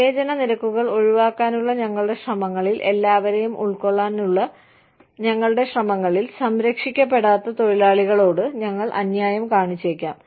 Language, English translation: Malayalam, In our attempts, to avoid discrimination charges, in our attempts, to be inclusive, we may end up being unfair, to the non protected classes of workers